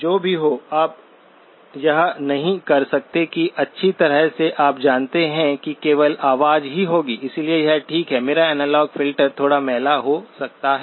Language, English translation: Hindi, Whatever it is, you cannot say that well you know only voice will be there, so it is okay, my analog filter can be a little sloppy